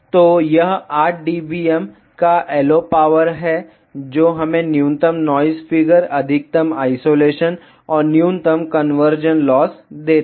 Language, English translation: Hindi, So, it is the LO power if of 8 dBm that gives us minimum noise figure maximum isolation and minimum conversion loss